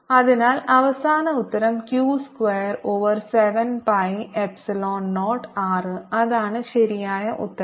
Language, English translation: Malayalam, so final answer is q square over seven pi epsilon zero r